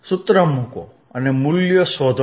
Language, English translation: Gujarati, Put the formula and find the values